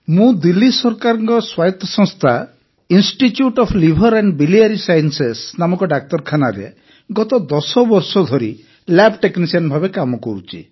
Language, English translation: Odia, I have been working as a lab technician for the last 10 years in the hospital called Institute of Liver and Biliary Sciences, an autonomus institution, under the Government of Delhi